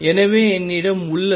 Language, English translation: Tamil, So, what I have is